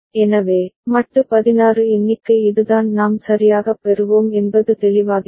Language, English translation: Tamil, So, modulo 16 count that is what we will get right, is it clear